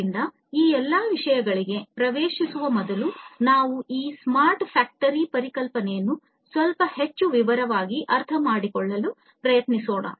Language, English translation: Kannada, So, let us before getting into all of these things let us first try to understand this smart factory concept in little bit more detail